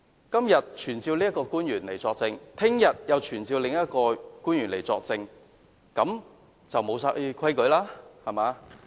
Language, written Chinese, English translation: Cantonese, 今天要求傳召一位官員來作證，明天又要求傳召另一位官員來作證，那還有何規矩可言？, Today they request to summon an official to testify and tomorrow they will again request to summon another official to testify . Are there still rules to speak of?